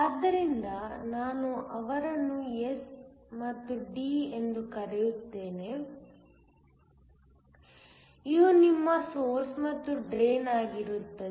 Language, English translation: Kannada, So, let me call them S and D, so that they are your source and the drain